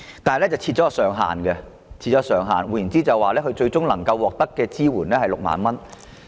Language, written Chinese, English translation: Cantonese, 然而，有關金額設有上限，旅行社最終能夠獲得的支援金額是6萬元。, However the payment is capped at a fixed amount and the maximum amount of cash incentive to be awarded to each travel agent is 60,000